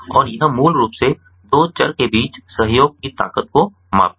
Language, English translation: Hindi, it basically measures the strength of association between two variables